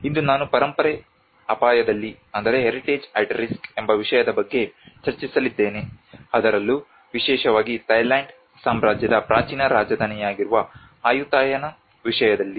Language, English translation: Kannada, Today I am going to discuss on a topic of heritage at risk, especially with the case of Ayutthaya which is the ancient capital of kingdom of Thailand